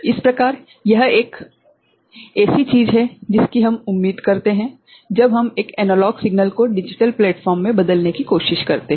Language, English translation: Hindi, So, this is the kind of thing that we expect when we are trying to manipulate an analog signal in a digital platform right